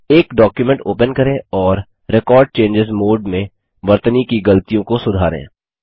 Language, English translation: Hindi, Open a document and make corrections to spelling mistakes in Record Changes mode